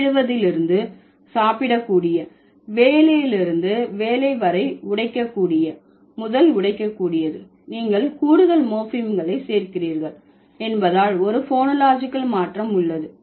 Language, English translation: Tamil, So, this is how from eat to eatable, from work to workable, break to breakable, there is a phonological change because you are adding extra morphemes